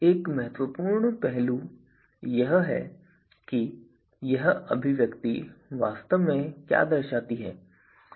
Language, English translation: Hindi, So, one important aspect of this is what this expression is actually representing